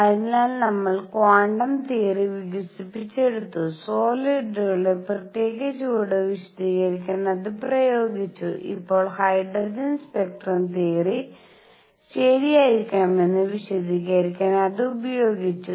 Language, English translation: Malayalam, So, we develop quantum theory applied it to explain specific heat of solids and now applied it to explain the hydrogen spectrum theory must be right alright